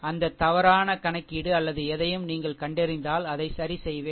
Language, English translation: Tamil, Anything you find that wrong calculation or anything then I will rectify it